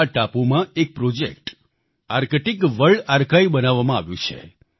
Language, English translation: Gujarati, A project,Arctic World Archive has been set upon this island